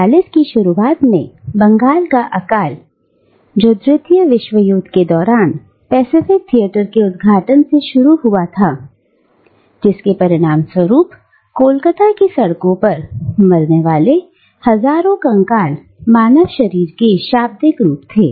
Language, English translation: Hindi, The Bengal famine of the early 1940’s, which was triggered by the opening up of the Pacific Theatre during the Second World War, left literally thousands of skeletal human bodies dying in the streets of Calcutta